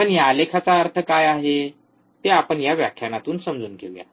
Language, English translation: Marathi, But let us understand from this lecture, what this graph means